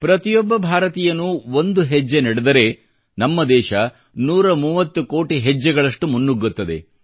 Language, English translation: Kannada, When every Indian takes a step forward, it results in India going ahead by a 130 crore steps